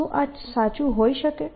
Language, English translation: Gujarati, is this true